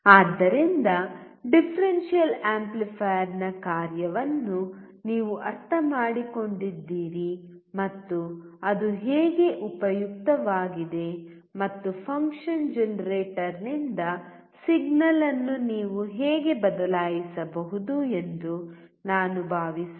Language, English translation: Kannada, So, I hope that you understood the function of the differential amplifier and how it is useful and how you can change the signal from the function generator